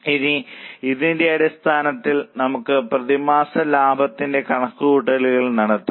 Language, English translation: Malayalam, Now based on this, let us make the calculation of monthly profits